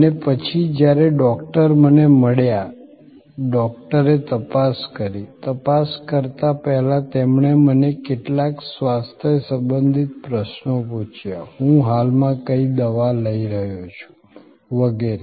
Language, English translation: Gujarati, And then, when the doctor met me, doctor examine, before examination he asked me certain health related questions, what medicines I am currently taking and so on